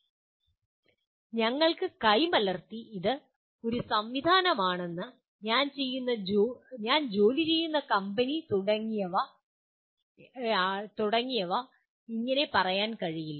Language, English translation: Malayalam, We cannot wave our hands and say it is a system, the company that I am working for and so on